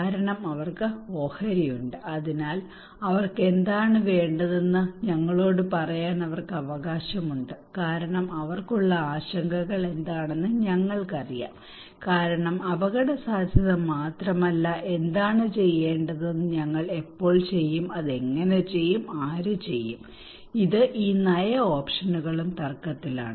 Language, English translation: Malayalam, Because they have the stake so they have the right to tell us that what they want what is the concerns they have because we know not only the risk but what is to be done when do we done, how it will be done, who will do it, these policy options are also contested